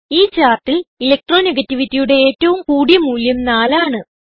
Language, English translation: Malayalam, In the chart, highest Electro negativity value is 4